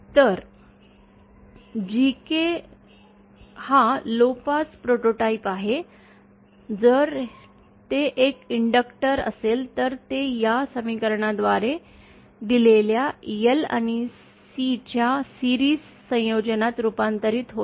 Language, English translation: Marathi, So, GK is our lowpass prototypeÉ If that is an inductor then that will be converted into a series combination of L and C given by this equation